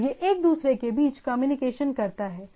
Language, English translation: Hindi, And it goes on communicating between each other